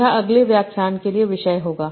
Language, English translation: Hindi, That will be the topic for the next lecture